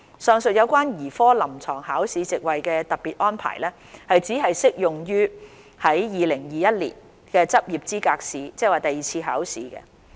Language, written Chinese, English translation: Cantonese, 上述有關兒科臨床考試席位的特別安排只適用於2021年執業資格試。, The above mentioned special arrangement on the capacity for candidates of the Paediatrics Clinical Examination will only apply to the 2021 LE